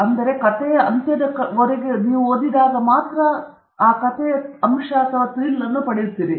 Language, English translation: Kannada, So, only towards the end of the story you get that important point